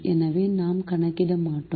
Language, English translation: Tamil, so we will not calculate